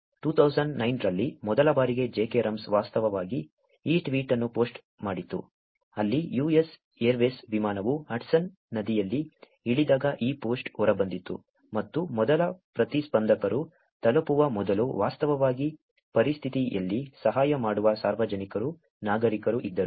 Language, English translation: Kannada, Whereas first time in 2009, jkrums actually posted this tweet, where when the US Airways flight landed in the Hudson river this post came out and before the first responders could reach, there was actually public, citizens who were actually helping in the situation